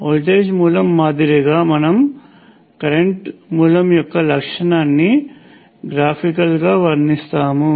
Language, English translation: Telugu, As with the voltage source we depict the characteristic of a current source graphically